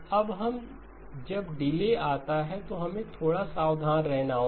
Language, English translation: Hindi, Now when delays come into play then we have to be a little bit careful